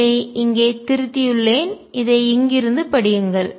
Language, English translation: Tamil, I have corrected this in in read out here